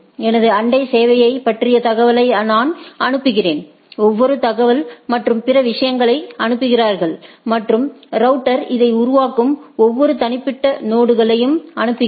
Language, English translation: Tamil, I send information about my neighbors service so, everybody sends information and other things and every individual nodes that the router constitute this